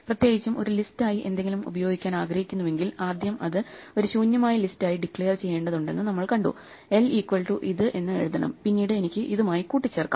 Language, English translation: Malayalam, In particular we saw that if we want to use something as a list we have to first declare it to be an empty list, so we have to write something like l is equal to this to say that hence forth I can append to it